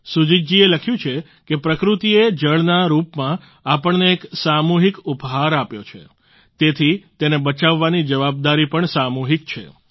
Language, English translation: Gujarati, Sujit ji has written that Nature has bestowed upon us a collective gift in the form of Water; hence the responsibility of saving it is also collective